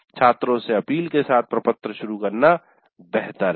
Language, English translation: Hindi, So it is better to start the form with an appeal to the students